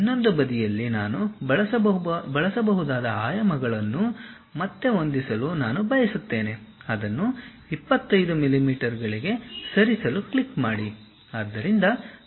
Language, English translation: Kannada, On the other side, I would like to adjust the dimensions again what I can use is, click that move it to some 25 millimeters